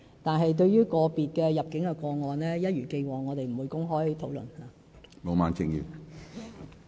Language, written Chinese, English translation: Cantonese, 但是，對於個別的入境個案，一如既往，我們不會公開討論。, However as always we do not comment publicly on individual immigration cases